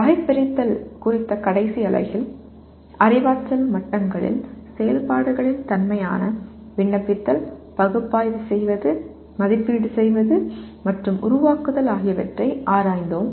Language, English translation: Tamil, In the last unit on the taxonomy, we explored the nature of activities at cognitive levels, Apply, Analyze, Evaluate and Create